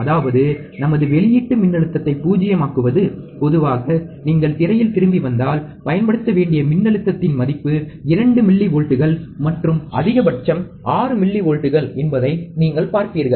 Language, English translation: Tamil, That is to null my output voltage, typically if you come back on the screen what you will see, typically the value is 2 millivolts, and the maximum the value is 6 millivolts